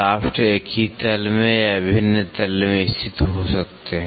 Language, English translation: Hindi, The shafts may lie in the same plane or in the different plane